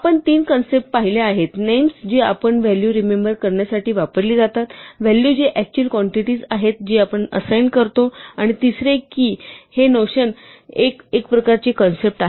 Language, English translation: Marathi, We have seen three concepts names which are what we use to remember values, values which are the actual quantities which we assign to names and we said that there is a notion of a type